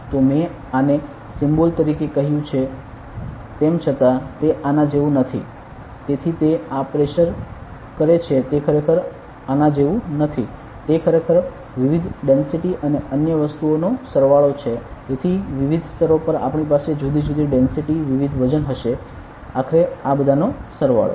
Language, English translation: Gujarati, So, even though I told this as a symbol as this it is not like this so it does this pressure is not like this it is a sum up of the various densities and other things so at different layers we will have different densities, different weights all sum up to finally, this